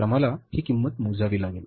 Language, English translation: Marathi, So we will have to calculate this cost